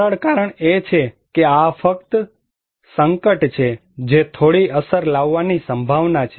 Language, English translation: Gujarati, The simple reason is this is just simply a hazard which is potential to cause some effect